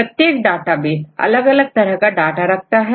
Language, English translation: Hindi, Each databases they have different types of data right